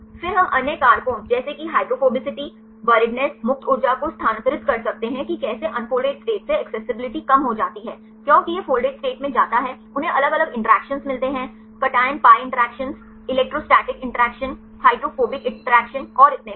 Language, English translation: Hindi, Then we can derive other factors like hydrophobicity, buriedness, transfer free energy how the accessibility is reduced from the unfolded state as it goes to the folded state, how they get the different interactions; cation pi interactions, electrostatic interaction, hydrophobic interactions and so on